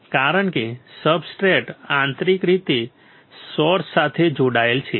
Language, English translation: Gujarati, , Because substrate is internally connected to the source